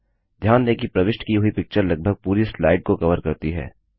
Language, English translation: Hindi, Notice that the inserted picture covers almost the whole slide